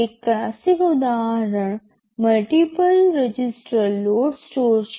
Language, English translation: Gujarati, OSo, one classical example is multiple register load store